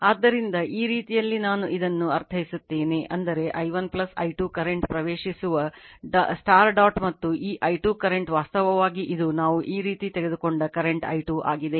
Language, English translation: Kannada, So, this way I mean this; that means, i 1 plus i 2 current entering into the dot and this i 2 current actually it is your this is the current i 2 we have taken like this